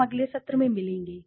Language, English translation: Hindi, We will meet in the next session